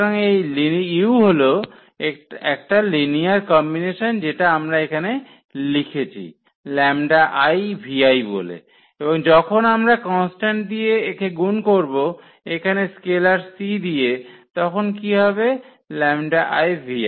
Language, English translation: Bengali, So, this u is a linear combination so, which we have already written here u is written as the lambda i v i and when we multiply by a constant here c by a scalar c then what will happen the c lambda into; into v i